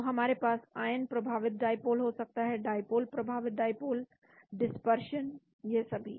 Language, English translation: Hindi, So we can have ion induced dipole, dipole induced dipole, dispersion, all these